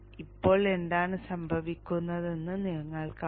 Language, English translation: Malayalam, Now you see what happens